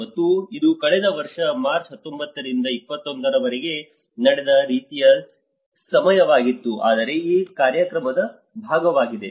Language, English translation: Kannada, And this was similar time last year 19 to 21st of March whereas also part of this program